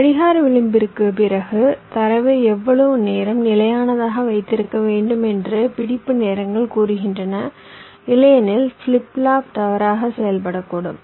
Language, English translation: Tamil, that is, the setup time and the hold times says, after the clock edge, how much more time i should keep my data stable, otherwise the flip flop may behave incorrectly